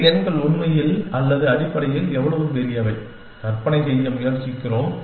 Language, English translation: Tamil, We try to imagine how big these numbers, really or essentially